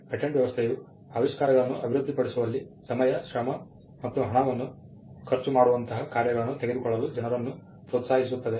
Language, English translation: Kannada, The patent system actually incentivizes people to take risky tasks like spending time, effort and money in developing inventions